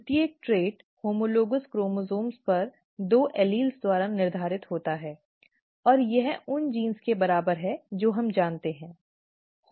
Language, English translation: Hindi, Each trait is , is determined by two alleles on homologous chromosomes, okay, and this is what is equivalent to the genes that we know of, right